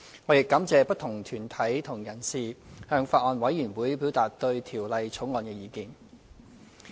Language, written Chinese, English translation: Cantonese, 我亦感謝不同團體和人士向法案委員會表達對《條例草案》的意見。, I am also grateful to the various deputations and parties who have expressed their views on the Bill to the Bills Committee